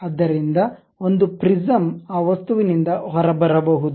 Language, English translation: Kannada, So, that a prism can come out of that object